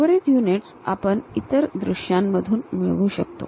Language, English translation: Marathi, The remaining dimensions we can get it from the other views